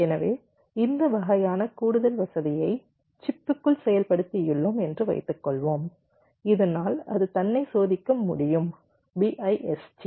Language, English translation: Tamil, ok, so suppose we have implemented this kind of extra facility inside the chips so that it can test itself, bist